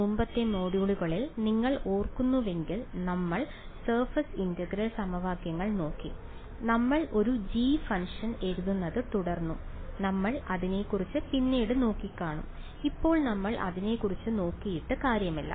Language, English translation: Malayalam, If you remember in the previous modules, we looked at the surface integral equations, we kept writing a g a function g and we said that we will worry about it later, now is when we worry about it right